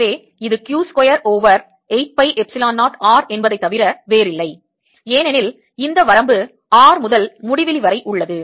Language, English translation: Tamil, so this is nothing but q square over eight pi epsilon zero r, because this limit is from r to infinity